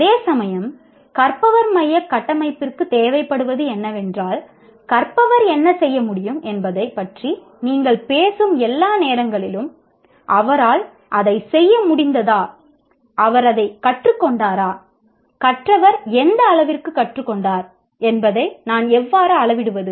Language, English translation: Tamil, Whereas learner centric framework requires that all the time you talk about what should the learner be able to do, has he been able to do that, has he learned it, how do you have measured to what extent the learner has learned